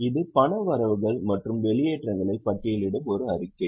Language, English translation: Tamil, It is a statement which lists the cash inflows and outlaws